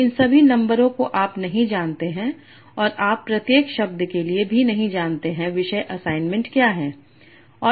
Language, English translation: Hindi, So all these numbers you do not know and you also do not know for each word what is the topic assignment and all this you have to infer